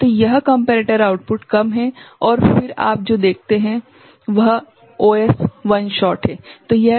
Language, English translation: Hindi, So, this comparator output is low right and then what you see OS is a one shot